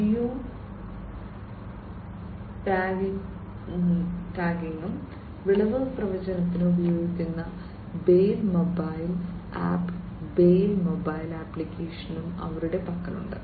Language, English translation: Malayalam, And they also have the bale mobile app the bale mobile app is used for geo tagging and yield forecasting